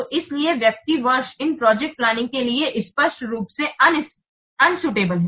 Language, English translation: Hindi, So that's why person year is clearly unsuitable to what for these projects